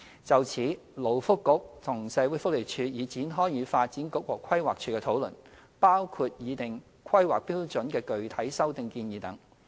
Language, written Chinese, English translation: Cantonese, 就此，勞工及福利局和社會福利署已展開與發展局和規劃署的討論，包括擬訂《規劃標準》的具體修訂建議等。, The Labour and Welfare Bureau and the Social Welfare Department have commenced discussions with the Development Bureau and PlanD in this regard including the drawing up of specific amendments to HKPSG